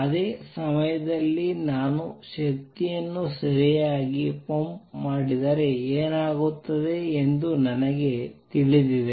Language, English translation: Kannada, At the same time I also know what happens if I pump in energy right